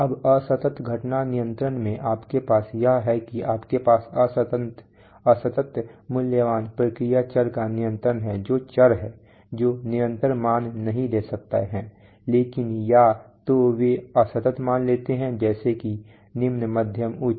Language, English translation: Hindi, Now in discrete event control what you have is that you have control of discrete valued process variables that is variables which cannot take continuous values, but either they take discrete values like, you know on and off or low, medium, high